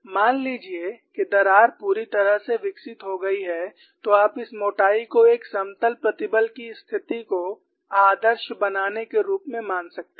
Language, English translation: Hindi, Suppose the crack has become fully grown, then you can consider this thickness as idealizing a plane stress situation